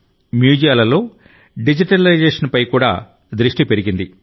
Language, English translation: Telugu, The focus has also increased on digitization in museums